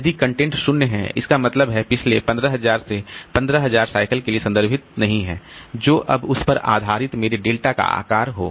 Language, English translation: Hindi, If the content is zero, that means it is not referred to in the in the last 10,000 or 15,000 cycles, whatever be the size of my delta based on that